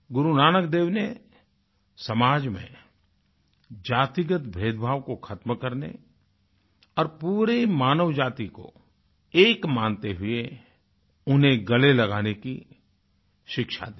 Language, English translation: Hindi, Guru Nanak Dev's teachings endeavoured to eradicate caste based discrimination prevalent in society